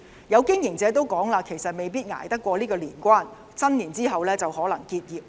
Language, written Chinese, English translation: Cantonese, 有經營者表示，可能捱不過年關，新年後可能結業。, Some business operators said that they might not be able to survive after the Chinese New year